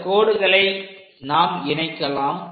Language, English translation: Tamil, Let us join these lines